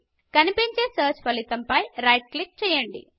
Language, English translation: Telugu, Right click on the first search result that appears